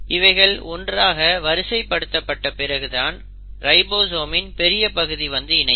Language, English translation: Tamil, Once these are juxtaposed and are put together only then the large subunit of ribosome comes and sits